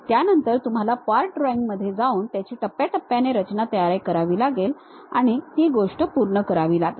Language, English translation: Marathi, Then, you go with part drawing construct it step by step and finish the thing